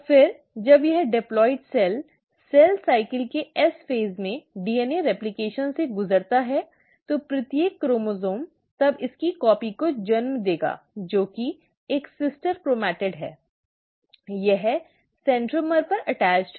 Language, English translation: Hindi, And then when this diploid cell undergoes DNA replication at the S phase of cell cycle, each of the chromosome will then give rise to its copy, that is a sister chromatid, it has attached at the centromere